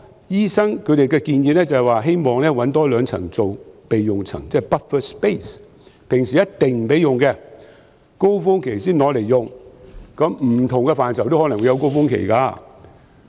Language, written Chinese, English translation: Cantonese, 醫生的建議是希望多找兩個樓層作為備用樓層，即 buffer space， 平時不可使用，在高峰期才可使用，因為不同範疇也可能會有高峰期。, The doctors suggestion is to have two more storeys as buffer space which will not be open for use except during peak seasons as different aspects may have different peak seasons